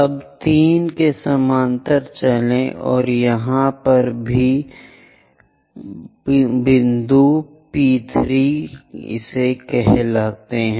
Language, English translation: Hindi, Now move parallel to 3 it intersects here call that point P3 prime